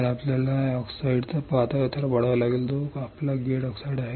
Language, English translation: Marathi, So, you have to grow thin layer of oxide right which is your gate oxide